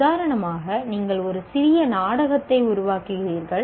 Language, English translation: Tamil, To that extent you are creating, for example, you are producing a small play